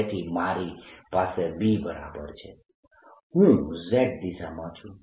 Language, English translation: Gujarati, so i have b is equal to mu naught n, i in the z direction